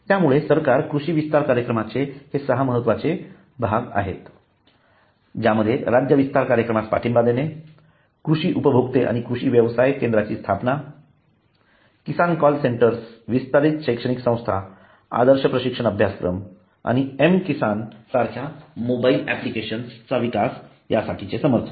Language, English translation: Marathi, so the government agricultural extension program has this six important parts that is the support to state extension program establishment of agri clients and agri business centers Kisan call centers extension educational institutes model training course and the development of mobile application like Kisan